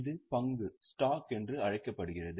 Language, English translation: Tamil, It is also called as stock